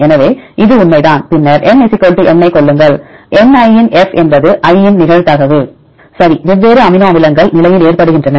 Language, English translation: Tamil, So, that is true then assume N = n where, f of Ni is a probability of i right different amino acids to occur at the position